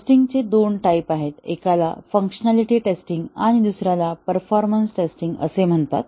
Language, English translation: Marathi, There are two major categories of tests; one is called as the functionality test and other is called as the performance test